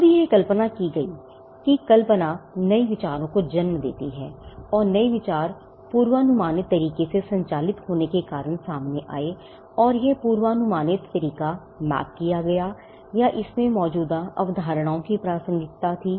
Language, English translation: Hindi, Now, imagination it was believed that imagination led to new ideas and the new ideas came up because of operating in predictable ways and this predictable way mapped or had relevance to existing concepts